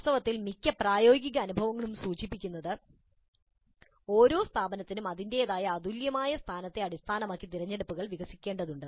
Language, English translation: Malayalam, In fact, most of the practical experiences seem to indicate that choices need to evolve for each institute based on its own unique position